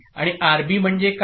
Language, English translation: Marathi, And what is RB